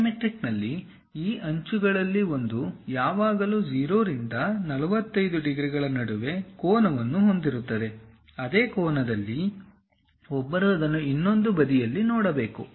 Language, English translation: Kannada, In dimetric, one of these edges always makes an angle in between 0 to 45 degrees; on the same angle, one has to see it on the other side also